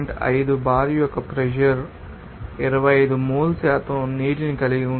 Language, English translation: Telugu, 5 bar contains 25 mole percent of water